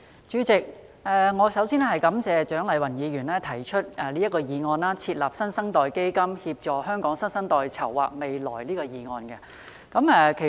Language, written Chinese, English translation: Cantonese, 主席，蔣麗芸議員提出"設立新生代基金，協助香港新生代籌劃未來"的議案。, President Dr CHIANG Lai - wan has proposed the motion on Setting up a New Generation Fund to help the new generation in Hong Kong plan for the future